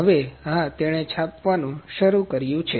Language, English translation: Gujarati, Now, yes, it has started the printing